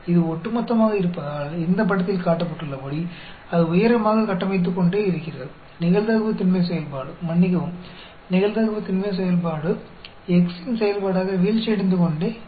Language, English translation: Tamil, And because it is cumulative, it keeps building up, as shown in this figure; whereas the probability density function, sorry, probability density function keeps falling as a function of x